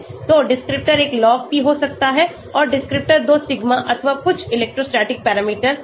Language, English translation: Hindi, So descriptor one could be Log P and descriptor 2 could be sigma or some electrostatic parameter here